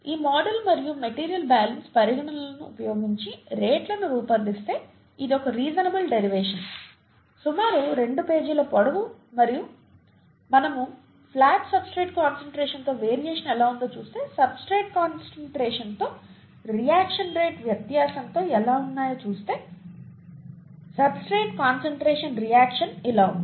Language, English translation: Telugu, If we work out the rates by using this model and material balance considerations, okay, it’s a reasonable derivation, about two pages long and if we if we look at how the variation is with the substrate concentration, variation of the rate of the reaction with substrate concentration, it will be something like this